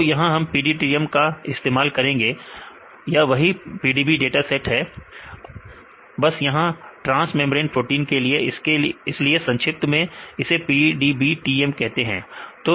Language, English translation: Hindi, So, we use the PDBTM, this is the protein data bank the same PDB protein data bank of transmembrane proteins right this is how the abbreviate the PDBTM